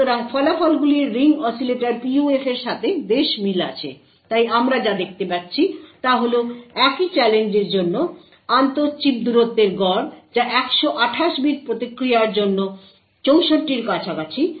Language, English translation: Bengali, So the results are quite similar to that of Ring Oscillator PUF, so what we see is that the inter chip distance for the same challenge is having an average which is around 64 for a 128 bit response